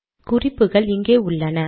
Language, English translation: Tamil, See the guidelines are here